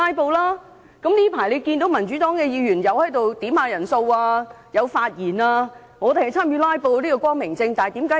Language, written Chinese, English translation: Cantonese, 近來大家都可看到，民主黨議員也有要求點算人數和發言，參與"拉布"，這是光明正大的。, As all of us can see lately Members from the Democratic Party have also engaged in filibustering by requesting headcounts and speaking actively and we have been doing this in an open and honest manner